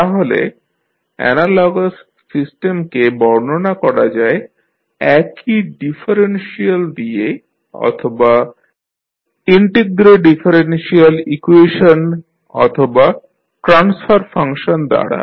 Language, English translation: Bengali, So, the analogous systems are described by the same differential or maybe integrodifferential equations or the transfer functions